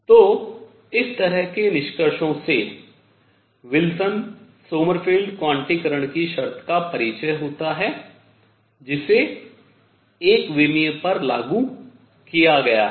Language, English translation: Hindi, So, this sort of concludes the introduction to Wilson Sommerfeld quantization condition which has been applied to one dimension